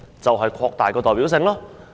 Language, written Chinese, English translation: Cantonese, 正是要擴大其代表性。, It can be done by enlarging its representation